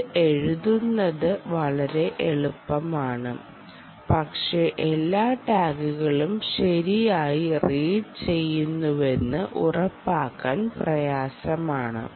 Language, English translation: Malayalam, its very easy to write this, but difficult to ensure that all tags are actually read right